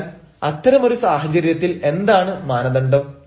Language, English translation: Malayalam, so in such a case, what should be the norm